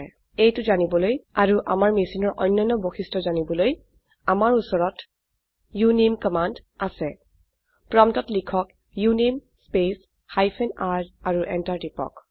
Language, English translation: Assamese, To know this and many other characteristics of our machine we have the uname command.Type at the prompt uname space hyphen r and press enter